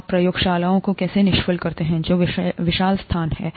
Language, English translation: Hindi, How do you sterilize labs which are huge spaces